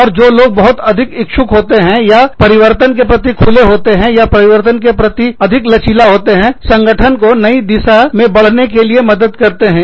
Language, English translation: Hindi, And, people, who are more willing, or open to change, or more flexible to change, will help the organization, move in the new direction